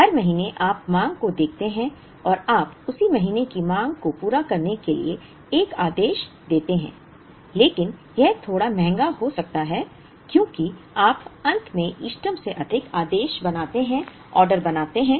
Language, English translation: Hindi, Every month you look at the demand and you place an order to meet the demand of that month but it could be slightly costly because you end up making more orders than the optimum